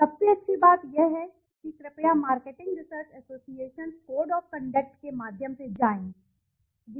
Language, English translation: Hindi, The best thing is please go through the marketing research associations code of conduct and go through it